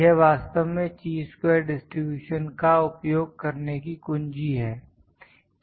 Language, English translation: Hindi, This is actually the key to use Chi square distribution